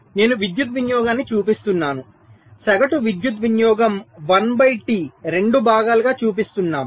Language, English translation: Telugu, so i am showing the power consumption average power consumption one by two, in two parts